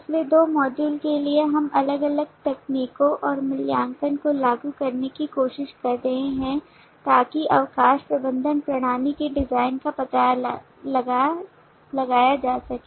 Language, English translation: Hindi, for the last two modules, we have been trying to apply different techniques and assessment to explore the design of leave management system